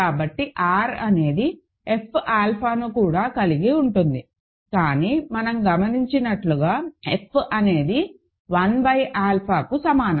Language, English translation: Telugu, So, R is going to contain F alpha also, but that as we just observed is same as F 1 by alpha